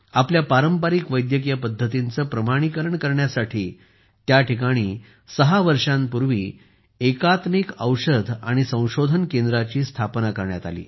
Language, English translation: Marathi, Here, the Center for Integrative Medicine and Research was established six years ago to validate our traditional medical practices